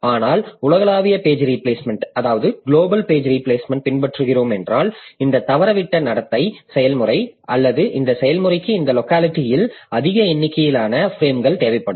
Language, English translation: Tamil, But if you are following the global page replacement, then this misbehaving process or this process which is requiring more number of frames in its locality